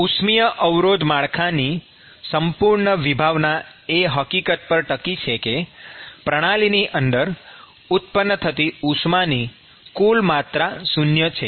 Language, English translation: Gujarati, The whole concept of resistance network hinges in the fact that the total amount of heat that is generated inside the system is 0